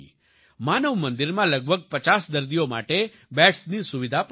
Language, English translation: Gujarati, Manav Mandir also has the facility of beds for about 50 patients